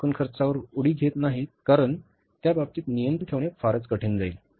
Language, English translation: Marathi, We don't jump to the total cost because exercising the control in that case will be very, very difficult